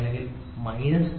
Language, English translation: Malayalam, 0 minus 0